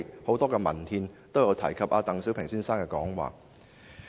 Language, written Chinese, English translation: Cantonese, "很多文憲都有提及鄧小平先生的以上講話。, The above speech by Mr DENG Xiaoping has been mentioned in a lot of literature